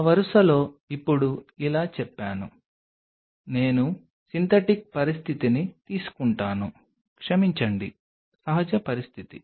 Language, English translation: Telugu, Next in that line now having said this I will take a synthetic situation sorry a natural situation